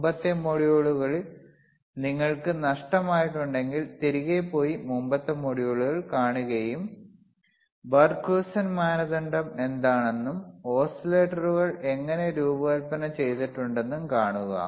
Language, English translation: Malayalam, iIf you have missed the earlier modules, go back and see earlier modules and see how what are the bBarkhausen criteria is and how the oscillators were designed